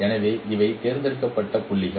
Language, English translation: Tamil, So these are the points which are selected